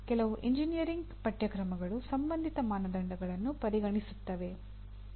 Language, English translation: Kannada, Whereas a few engineering courses do consider relevant standards